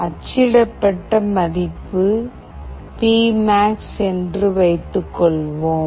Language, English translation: Tamil, Suppose, the value which is printed is P max